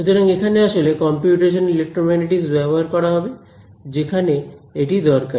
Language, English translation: Bengali, So, that sort of brings us to where is computational electromagnetics actually used where we you know where is it useful